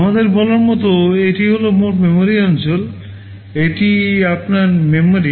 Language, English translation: Bengali, Like let us say this is your total memory area, this is your memory